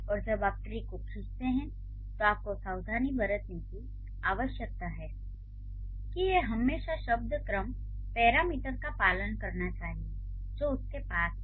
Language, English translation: Hindi, And when you draw the trees, you need to be careful that it should always follow the word order parameter that it has